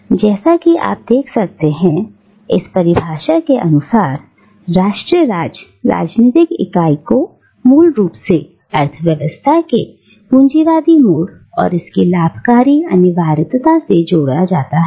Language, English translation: Hindi, Now, as you can see, in this definition, the political unit of nation state is seen as inherently connected with the capitalist mode of economy and its profit making imperatives